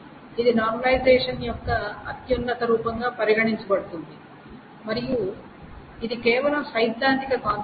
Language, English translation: Telugu, This is considered the highest form of normalization and this is essentially just a theoretical concept